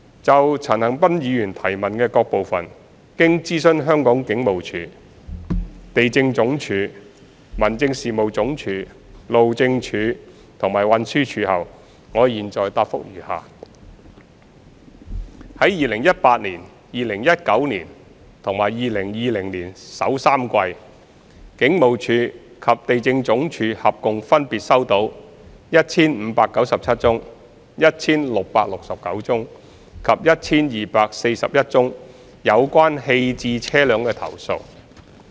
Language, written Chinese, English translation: Cantonese, 就陳恒鑌議員質詢的各部分，經諮詢香港警務處、地政總署、民政事務總署、路政署及運輸署後，我現在答覆如下：一及三在2018年、2019年及2020年首3季，警務處及地政總署合共分別收到 1,597 宗、1,669 宗及 1,241 宗有關棄置車輛的投訴。, After consulting the Hong Kong Police Force the Police the Lands Department LandsD the Home Affairs Department the Highways Department HyD and the Transport Department TD my reply to the various parts of Mr CHAN Han - pans question is as follows 1 and 3 In 2018 2019 and the first three quarters of 2020 the Police and LandsD received altogether a total of 1 597 1 669 and 1 241 complaints in respect of abandoned vehicles respectively